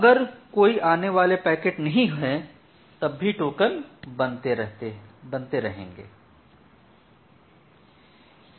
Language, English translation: Hindi, So, if there is no incoming packet then the token is getting added